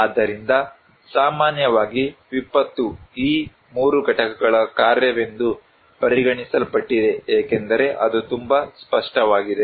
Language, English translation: Kannada, So, disaster in general is considered to be the function of these 3 components as it is very clear